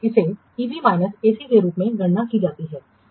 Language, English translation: Hindi, This is calculated as EV minus AC and what does it indicate